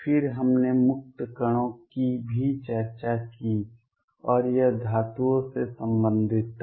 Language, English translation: Hindi, Then we have also discussed free particles and this was related to metals